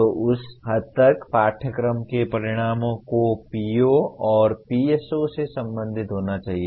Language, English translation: Hindi, So to that extent course outcomes have to be related to the POs and PSOs